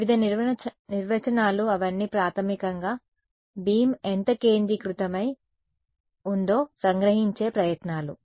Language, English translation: Telugu, Various definitions all of them are basically attempts to capture how focused the beam is